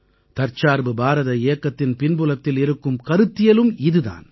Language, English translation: Tamil, The same thought underpins the Atmanirbhar Bharat Campaign